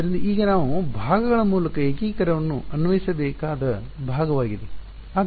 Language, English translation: Kannada, So, now is the part where we will have to apply integration by parts